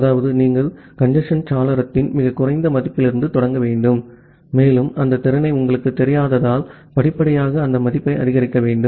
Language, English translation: Tamil, That means, you need to start from a very low value of the congestion window and gradually increase that value to reach the capacity because you do not know that capacity